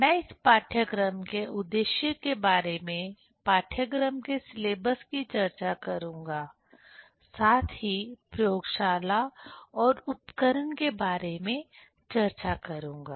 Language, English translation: Hindi, I will discuss about the aim of this course; syllabus of the course as well as about the laboratory and the apparatus